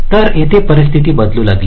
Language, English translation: Marathi, so here the situations started to change